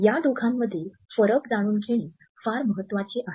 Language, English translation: Marathi, It is very important to know the difference between these two